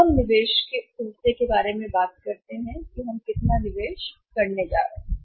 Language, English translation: Hindi, Now we talk about the investment part investment part how much investment we are going to make